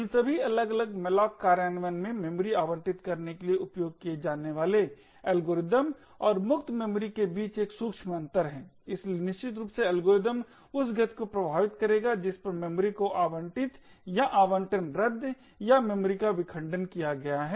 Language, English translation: Hindi, In all of these different malloc implementation there is a subtle difference between the algorithm used to allocate memory and free memory as well, so essentially the algorithms will affect the speed at which memory is allocated or deallocated versus the fragmentation of the memory